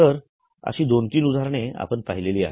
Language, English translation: Marathi, So, we have seen two, three examples